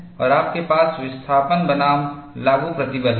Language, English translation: Hindi, And you have the displacement versus applied stress